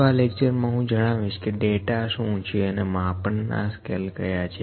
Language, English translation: Gujarati, So, in this lecture, I will take what is data and what are the scales of measurement